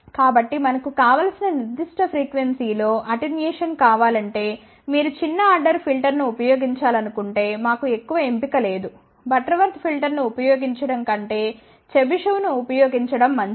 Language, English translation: Telugu, So, if we want attenuation at certain desired frequency, then we do not have much choice if you want to use a smaller order filter it is better to use Chebyshev than to use Butterworth filter